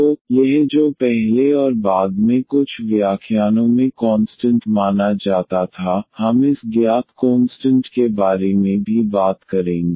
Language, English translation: Hindi, So, this what treated as constant at first and in later on some lectures we will also talk about this known constants